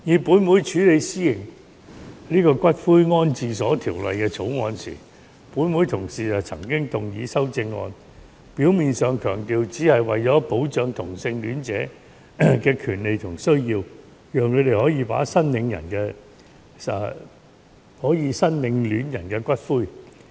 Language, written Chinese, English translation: Cantonese, 本會處理《私營骨灰安置所條例草案》時，有同事就曾經動議修正案，表面上強調只是為了保障同性戀者的權利和需要，讓他們可以申領戀人的骨灰。, When this Council scrutinized the Private Columbaria Bill a while ago some Members moved amendments to the Bill . On the surface such amendments aimed at protecting the rights and needs of homosexual people so that they could collect the cremains of their loved ones